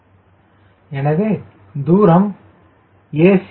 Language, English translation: Tamil, how do i locate a